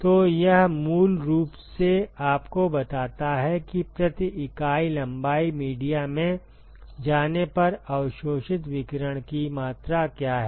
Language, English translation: Hindi, So, it basically tells you, what is the quantity of radiation that is absorbed as you go into the media per unit length